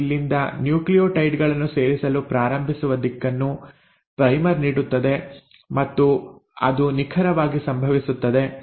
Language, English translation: Kannada, And it is the primer which gives the direction that start adding nucleotides from here and that is exactly what happens